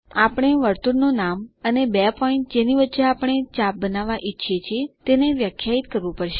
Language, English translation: Gujarati, We will have to define the name of the circle and the two points between which we want the arc